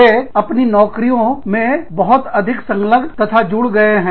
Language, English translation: Hindi, They are becoming, much more involved, and engaged, in their jobs